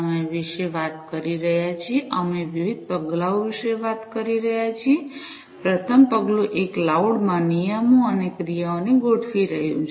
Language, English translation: Gujarati, We are talking about; we are talking about different steps; step one is configuring the rules and actions in the cloud